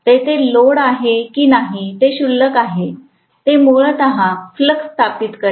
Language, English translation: Marathi, Whether there is load or not, that is immaterial, it is going to essentially establish a flux